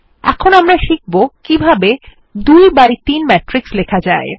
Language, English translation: Bengali, Now well learn how to write the 2 by 3 matrix